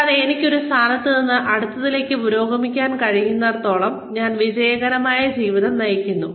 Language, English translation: Malayalam, And, as long as, I am able to progress, from one position to the next, I have led a successful life